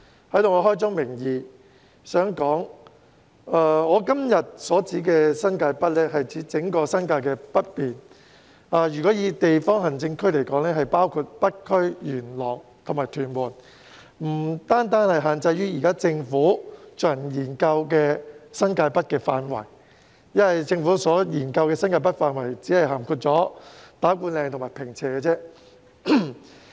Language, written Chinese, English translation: Cantonese, 在此我想開宗明義指出，我今天所說的"新界北"是指整個新界北面，若以地方行政區劃分，即包括北區、元朗及屯門，而不限於政府現正研究的新界北範圍，因為政府研究的新界北範圍只包括打鼓嶺及坪輋而已。, Here I would like to first clarify that the New Territories North that I refer to today is the entire northern New Territories . If in terms of administrative districts it includes North District Yuen Long District and Tuen Mun District . The coverage is wider than that of the New Territories North being studied by the Government as the latter includes only Ta Kwu Ling and Ping Che